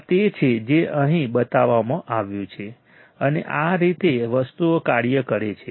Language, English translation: Gujarati, This is what is shown here, and this is how the things work